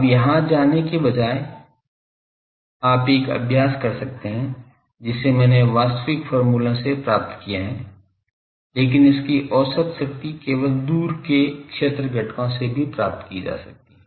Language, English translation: Hindi, Now, instead of going here, you can do an exercise that, I have found it from the actual expressions derived, but this its average power can also be obtained from only far field components